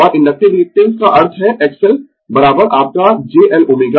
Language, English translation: Hindi, And inductive reactance means x L is equal to your j L omega right